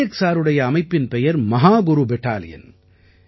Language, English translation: Tamil, The name of the organization of Nayak Sir is Mahaguru Battalion